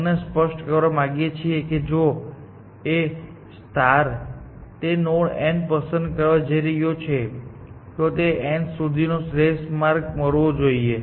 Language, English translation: Gujarati, We want to make this clean that if A star is about to pick that node n, it must have found that optimal path to n